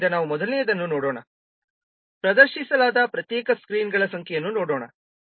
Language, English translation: Kannada, So let's see the first one, number of separate screens that are displayed